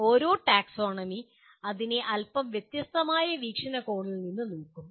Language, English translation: Malayalam, Each taxonomy will look at it from a slightly different perspective